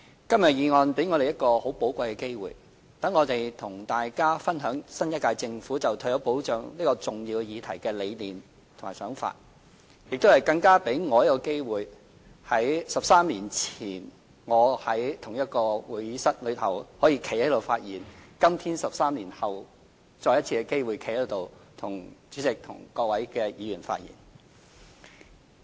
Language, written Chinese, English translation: Cantonese, 今天的議案辯論給我們一個很寶貴的機會，讓我們與大家分享新一屆政府對於退休保障這項重要議題的理念和想法，更給我一個機會，繼13年前在同一個會議廳發言後，在今天 ——13 年後——再次有機會可以在這裏向主席和各位議員發言。, This motion debate today gives us a most valuable opportunity to share with Members the convictions and views of the new - term Government on this important issue of retirement protection . And it also gives me an opportunity to―after speaking in this Chamber 13 years ago―once again speak here to the President and Members today which is 13 years since